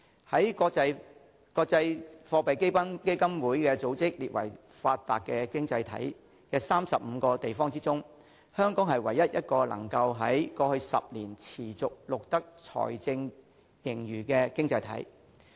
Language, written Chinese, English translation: Cantonese, 在國際貨幣基金組織列為發達經濟體的35個地方中，香港是唯一一個能在過去10年持續錄得財政盈餘的經濟體。, Among the 35 places listed by the International Monetary Fund IMF as developed economies Hong Kong is the only place which has recorded fiscal surplus for the past 10 consecutive years